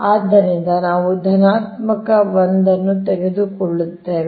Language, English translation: Kannada, so we will take the positive one right